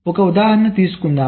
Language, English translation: Telugu, lets take an example